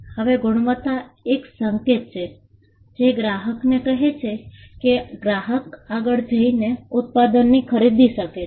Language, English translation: Gujarati, Now, quality is a signal which tells the customer that the customer can go ahead and buy the product